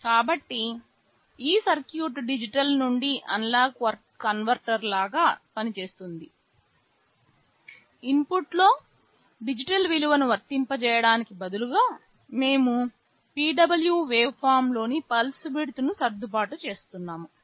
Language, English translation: Telugu, So, this circuit also works something like a digital to analog converter, just instead of applying a digital value in the input we are adjusting the pulse width of the PWM waveform